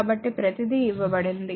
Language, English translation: Telugu, So, everything is given